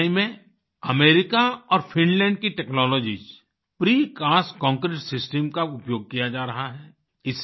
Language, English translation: Hindi, In Chennai, the Precast Concrete system technologies form America and Finland are being used